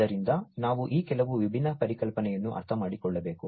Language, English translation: Kannada, So, we need to understand some of these different concepts